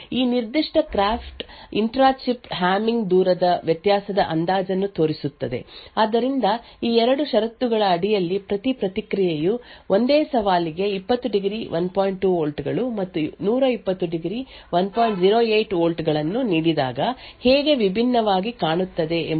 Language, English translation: Kannada, This particular graph shows the estimation of the intra chip Hamming distance variation, so it tells you how different each response looks for the same challenge under these 2 conditions; 20 degrees 1